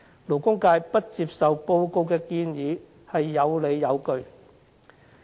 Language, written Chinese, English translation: Cantonese, 勞工界不接受報告的建議是有理有據的。, The labour sector has reasons not to accept this proposal made in the report